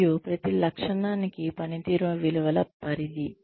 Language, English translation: Telugu, And, range of performance values, for each trait